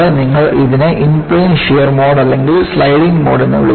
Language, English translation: Malayalam, And, you call this as Inplane Shear Mode or Sliding Mode